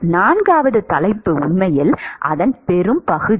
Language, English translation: Tamil, Then the 4th topic is really the bulk of it